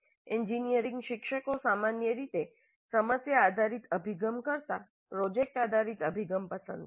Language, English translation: Gujarati, Engineering educators generally seem to prefer project based approach to problem based one